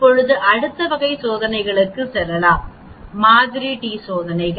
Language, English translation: Tamil, Now let us go to next type of tests that is called a two sample t tests